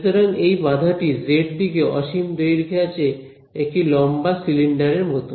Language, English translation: Bengali, So, this obstacle is infinitely long in the z direction like a tall cylinder right